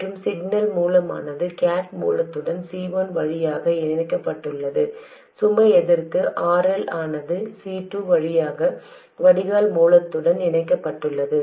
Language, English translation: Tamil, And the signal source is connected to the gate source via C1, the load resistance RL is connected to the drain source via C2